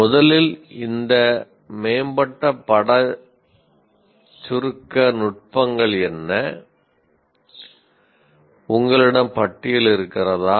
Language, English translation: Tamil, First of all, what are these advanced image compression techniques